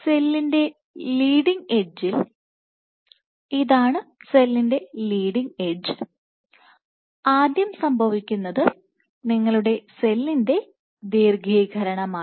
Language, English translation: Malayalam, So, at the leading edge of the cell, this is the leading edge, first thing which happens is you have elongation of the cell